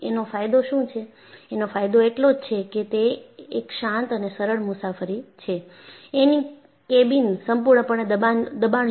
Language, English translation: Gujarati, The advantage is it is a quiet and smooth ride, and the cabin is fully pressurized